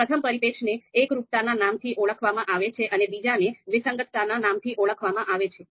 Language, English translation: Gujarati, So first one is called concordance and the second one is called discordance